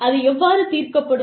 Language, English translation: Tamil, How will, disputes be resolved